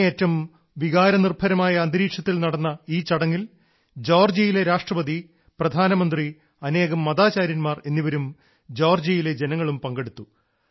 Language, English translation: Malayalam, The ceremony, which took place in a very emotionally charged atmosphere, was attended by the President of Georgia, the Prime Minister, many religious leaders, and a large number of Georgians